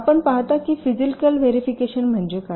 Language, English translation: Marathi, you see what is physical verification